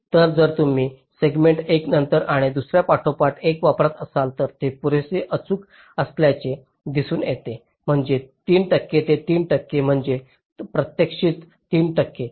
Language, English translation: Marathi, ok, so if you use three segments, one followed by another, followed by other, that is seen to be accurate enough, which is means three accurate to three percent, that is, three percent of the actual